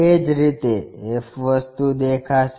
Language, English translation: Gujarati, Similarly, f thing will be visible